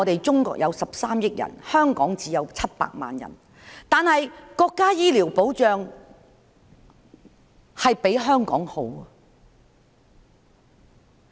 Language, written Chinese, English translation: Cantonese, 中國有13億人，香港只有700萬人，但是國家的醫療保障比香港好。, There are 1.3 billion people in Mainland China and only 7 million people in Hong Kong but the nations medical security is better than that of Hong Kong